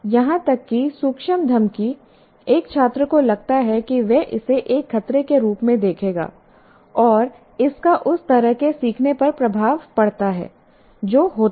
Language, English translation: Hindi, Even subtle intimidation, a student feels he will look at it as a threat and that has effect on the learning that takes place